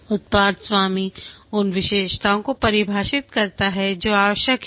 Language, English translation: Hindi, The product owner defines the features that are required